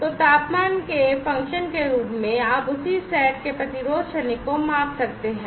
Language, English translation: Hindi, So, as a function of temperature, you can measure the same set of resistance transient